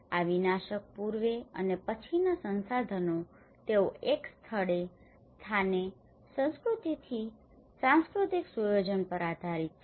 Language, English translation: Gujarati, These pre and post disaster approaches they vary with from place to place, culture to culture based on the cultural setup